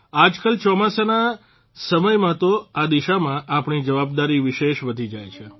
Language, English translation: Gujarati, These days during monsoon, our responsibility in this direction increases manifold